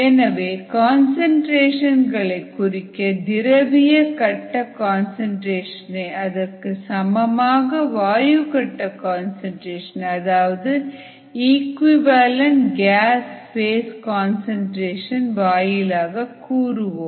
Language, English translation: Tamil, so we represent the concentration here in terms of an equivalent gas phase concentration, the, the concentration in the liquid phase in terms of an equivalent gas phase concentration